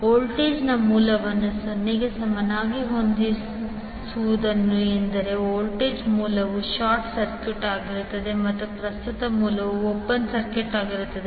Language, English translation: Kannada, Setting voltage source equal to 0 means the voltage source will be short circuited and current source will be the open circuited